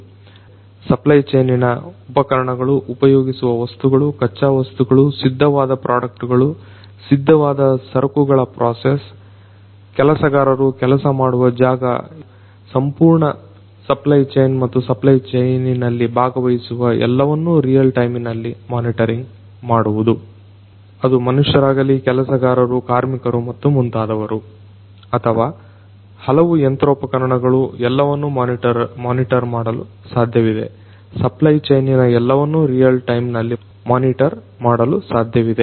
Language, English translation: Kannada, Real time monitoring in the supply chain of equipment, materials being used, raw materials, finished products, finished goods processes, workers environment, everything in real time, monitoring in real time of the entire supply chain and the participants in the supply chain; be it the humans, the workers the laborers and so on or be it the different machinery, everything is going to be possible to be monitored in everything in the supply chain is going to be possible to be monitored in real time